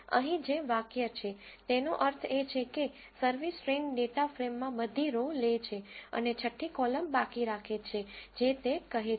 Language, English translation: Gujarati, The statement here means that in the service train data frame take all the rows and exclude column 6 that is what it says